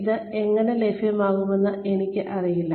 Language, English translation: Malayalam, I do not know, how this will be made available